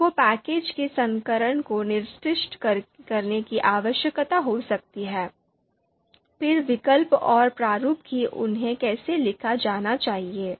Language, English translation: Hindi, You can see version, we need to specify the version of the you know package, then the alternatives and the format that how they are supposed to be written